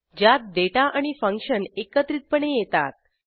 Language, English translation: Marathi, In which the data and the function using them is grouped